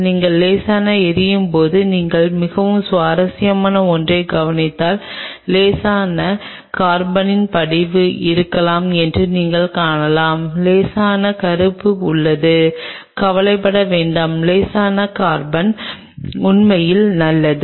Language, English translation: Tamil, Just with that mild flaming once you do the flame you observe something very interesting you may find there may be a bit of a deposition of mild slight carbon there is slight very mild black do not get worried that is actually good that slight carbon is actually good